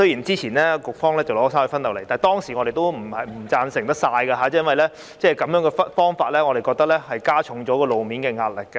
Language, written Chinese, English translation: Cantonese, 之前局方提交了三隧分流方案，但我們當時並非完全贊同，因為我們認為這方法加重了路面的壓力。, However at that time we did not totally agree with it because in our view this approach would add to the pressure on roads